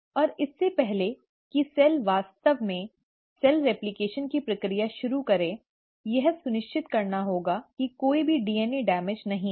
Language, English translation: Hindi, And, before the cell actually commits and starts doing the process of DNA replication, it has to make sure that there is no DNA damage whatsoever